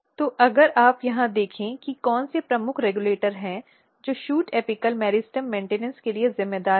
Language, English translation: Hindi, So, now if you look here what are the key regulators which are responsible for shoot apical meristem maintenance